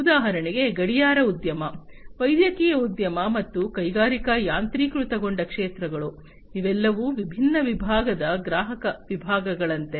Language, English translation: Kannada, For example, the watch industry, the medical industry, and the industrial automation sectors; these are all like different segmented customer segments